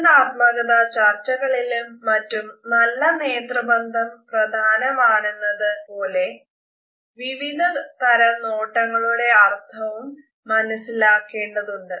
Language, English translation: Malayalam, Whereas in interactive situations a positive eye contact is important, it is also helpful for us to understand what different type of glances and gazes mean to us